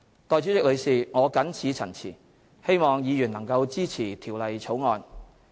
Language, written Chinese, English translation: Cantonese, 代理主席，我謹此陳辭，希望議員能支持《條例草案》。, With these remarks Deputy President I hope that Members will support the Bill